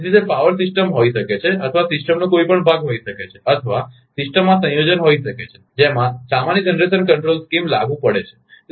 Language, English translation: Gujarati, So, it may be a power system or maybe a part of a system or maybe a combination of system to which a common generation control scheme is applied